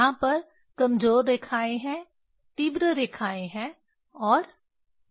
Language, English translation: Hindi, There are weak lines, there are strong lines, and there are medium lines